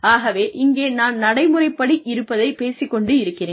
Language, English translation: Tamil, So, that is the practicality, I am talking about